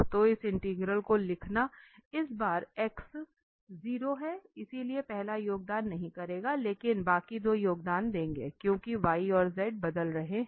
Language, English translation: Hindi, So, writing this integral this time the x is 0, so the first will not contribute, but the rest two will contribute because y and z they are changing